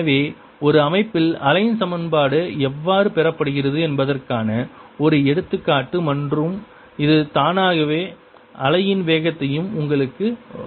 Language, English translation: Tamil, so this one example how wave equation is obtain in a system and that automatically gives you the speed of wave